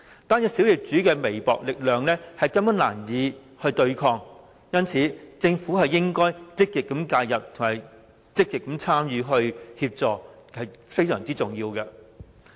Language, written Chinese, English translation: Cantonese, 個別小業主憑微薄力量根本難以對抗，因此政府應該積極介入和提供協助，這是非常重要的。, However individual small property owners with very limited power can hardly counter them . It is therefore most important for the Government to proactively intervene and offer assistance